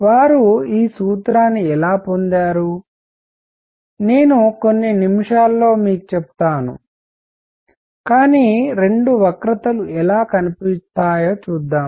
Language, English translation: Telugu, How they got this formula, I will tell you in a few minutes, but let us see the two curves how do they look